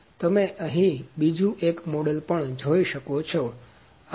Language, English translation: Gujarati, So, also you can see another model here